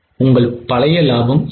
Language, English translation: Tamil, What was your old profit